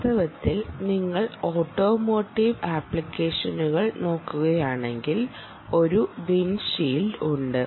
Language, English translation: Malayalam, in fact, if you look at automotive applications, there is a windshield windshield tag